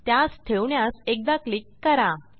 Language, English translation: Marathi, Click once to place it